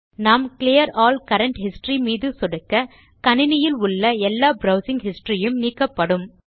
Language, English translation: Tamil, If we click on Clear all current history then all the browsing history stored on the your computer will be cleared